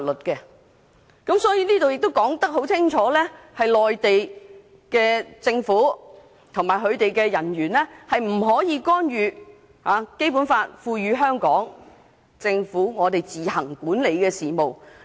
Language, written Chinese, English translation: Cantonese, 因此，這項條文清楚訂明，內地政府機構及其人員不得干預《基本法》賦予香港特區政府自行管理的事務。, Hence this provision clearly stipulates that Mainland government offices and their personnel shall not interfere in the affairs which the Hong Kong SAR administers on its own in accordance with the Basic Law